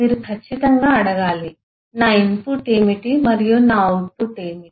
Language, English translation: Telugu, you certainly need to ask is to what is my input and what is my output